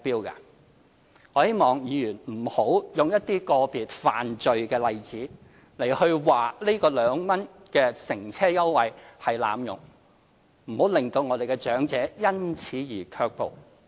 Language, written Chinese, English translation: Cantonese, 我希望議員不要用一些個別犯罪的例子指這個2元乘車優惠被濫用，不要令長者因此而卻步。, I hope Members can avoid using a single example of a criminal case as a proof that the scheme is abused . Members must not discourage the elderly people from travelling at the concessionary fare